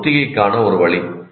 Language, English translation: Tamil, That is one way of rehearsal